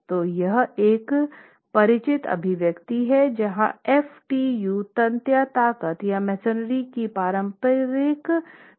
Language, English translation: Hindi, So, this is a familiar expression where FTU is the tensile strength of the referential or conventional tensile strength of masonry